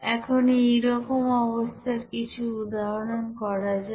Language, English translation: Bengali, Now let us do an example for such cases